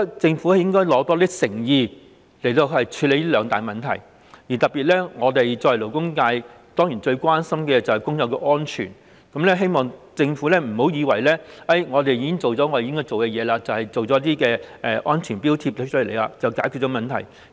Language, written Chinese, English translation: Cantonese, 政府應拿出更多誠意處理這兩大問題，特別是我們作為勞工界，最關心的當然是工友的安全，希望政府別以為已經做好了自己的工作，推出安全標記便以為這樣就解決了問題。, The Government should show more goodwill in tackling these two problems . As a member of the labour sector I am especially concerned about the safety of workers . I hope that the Government will not think that it has already done its part and solved the problem by introducing the safety marking requirement